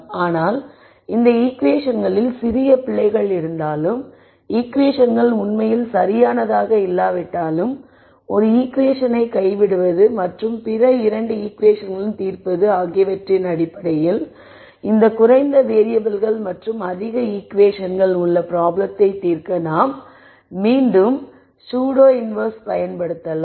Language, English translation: Tamil, But even if there are minor errors in these equations and the equations are not really perfect in terms of just drop ping one equation and solving with other 2 equations, you could still use the notion of pseudo inverse again to solve this problem where I have less variables and more equations